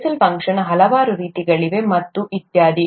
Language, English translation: Kannada, There are Bessel’s functions of many kinds and so on so forth